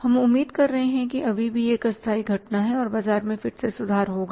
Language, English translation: Hindi, We are expecting that still it is a temporary phenomenon and the market will again improve